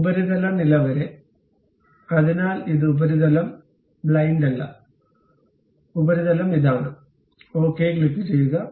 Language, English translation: Malayalam, Up to the surface level; so it is not blind up to the surface and the surface is this one and click ok